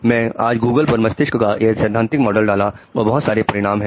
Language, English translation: Hindi, I just put this theoretical model of brain on Google today and these are the results I found in 0